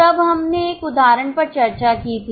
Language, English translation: Hindi, Then we had discussed one illustration